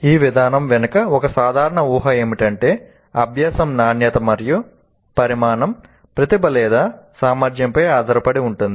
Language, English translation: Telugu, And a common assumption behind this approach is that learning quality and quantity depend on talent or ability